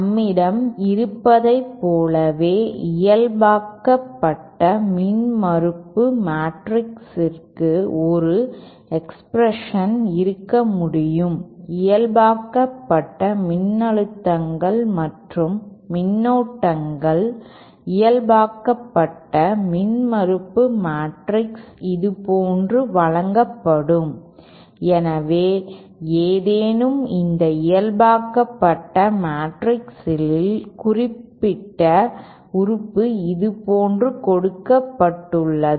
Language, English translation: Tamil, We can also have an expression for the normalized impedance matrix just like we have normalized voltages and currents the normalized impedance matrix will be given like this, so any particular element in this normalized matrix is given like this